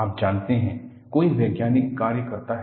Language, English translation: Hindi, You know, somebody does scientific work